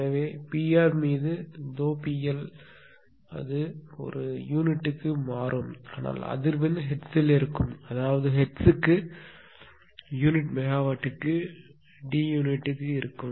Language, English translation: Tamil, So, delta P L upon this P L delta P L P R it will become per unit that is why this and this, but this will remain hertz frequency will be hertz right; that means, unit of D will be per unit megawatt per hertz